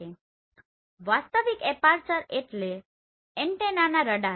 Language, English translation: Gujarati, So real aperture means antenna radar